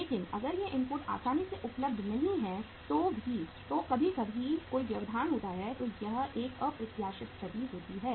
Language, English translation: Hindi, But if these inputs are not easily available or sometimes there is a disruption, there is a unforeseen situation